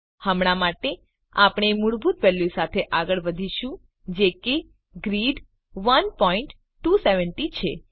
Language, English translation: Gujarati, For now, we will go ahead with the default value that is Grid 1.270